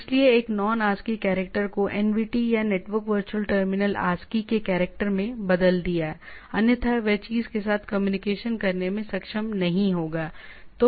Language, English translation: Hindi, So transformed a Non ASCII character to a NVT or Network Virtual Terminal ASCII character right, so, otherwise it will not be able to communicate with the thing